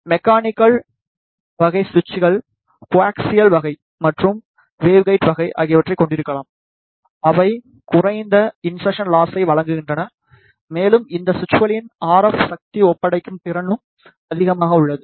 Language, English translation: Tamil, The mechanical type of switches could of either coaxial type and waveguide type; they provide low insertion loss and the RF power handing capability of these switches is also high